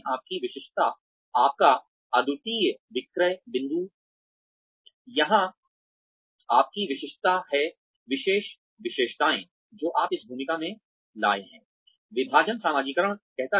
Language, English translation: Hindi, Your uniqueness, your unique selling point is your distinctness here, the special characteristics, you have brought to this role